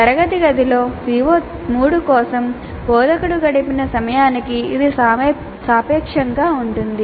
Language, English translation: Telugu, This is relative to the amount of time the instructor has spent on CO3 in the classroom